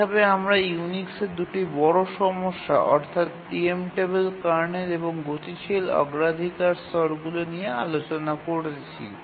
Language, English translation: Bengali, So we just saw two major problems of Unix, non preemptible kernel and dynamic priority levels